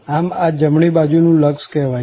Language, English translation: Gujarati, So, this is called the right hand limit